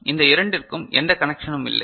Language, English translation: Tamil, So, they are not connected with each other